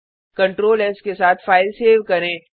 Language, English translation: Hindi, Save the file with Ctrl s